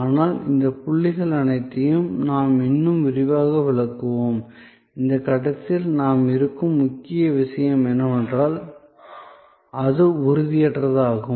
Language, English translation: Tamil, But, we will anyway explain all these points much more in detail, the key point that we are at this stage making is that, because it is intangible